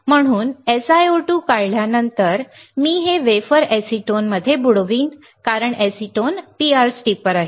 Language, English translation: Marathi, So, after etching SiO2, I will dip this wafer in acetone right acetone because acetone is PR steeper